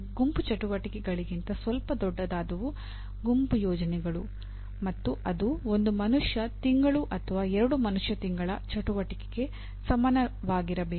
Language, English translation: Kannada, Group projects which is slightly bigger than group assignments which will require maybe equivalent of one man month or two man month activity